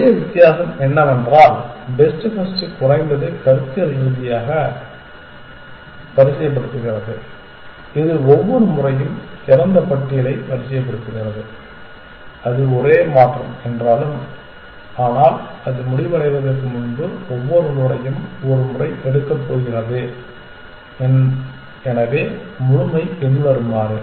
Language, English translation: Tamil, The only difference is that best first is sorting at least conceptually it is sorting the open list every time essentially though that is the only change, but it is going to pick every node once before it terminate, so completeness follows